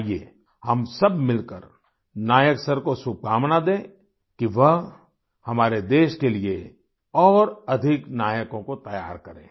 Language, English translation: Hindi, Come, let us all wish Nayak Sir greater success for preparing more heroes for our country